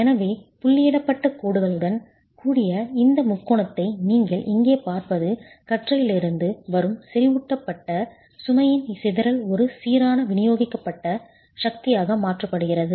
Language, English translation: Tamil, So what you see here is this triangle with the dotted lines is actually the dispersion of the concentrated load coming from the beam converted into uniform distributed force